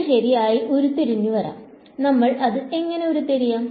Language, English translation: Malayalam, It can be derived right, how would we derive it